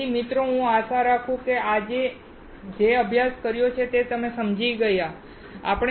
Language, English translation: Gujarati, So, guys I hope that you understand what we have studied today